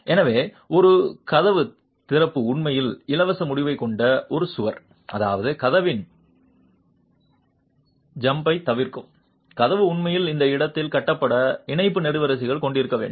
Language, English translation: Tamil, So, a door opening is actually a wall with a free end which means the door opening, the jam of the door should actually have a tie column built in at that location